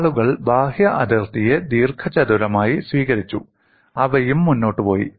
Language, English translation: Malayalam, People have taken the outer boundary, as rectangle and they have also proceeded